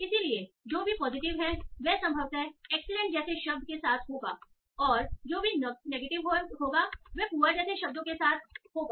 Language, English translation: Hindi, So whichever are positive will probably occur with a word like excellent and whichever negative will occur with words like poor